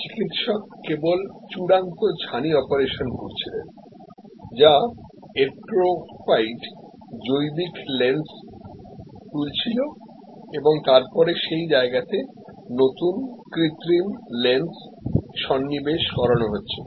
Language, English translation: Bengali, So, the doctor was only doing the final cataract operation, which is lifting of the atrophied organic lens and then insertion of the new artificial lens in that sack